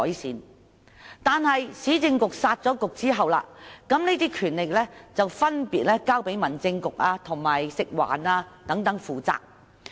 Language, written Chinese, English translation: Cantonese, 然而，在市政局被"殺局"後，這些權力便分別交給民政事務局和食物環境衞生署負責。, However since the scrapping of UC these powers were handed over to the Home Affairs Bureau and Food and Environmental Hygiene Department FEHD